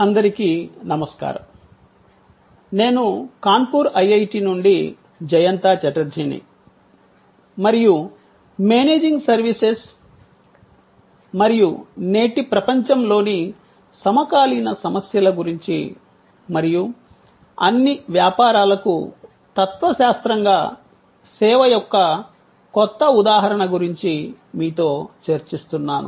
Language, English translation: Telugu, Hello, I am Jayanta Chatterjee from IIT, Kanpur and I am discussing with you about Managing Services and the contemporary issues in today's world and the new paradigm of service as a philosophy for all businesses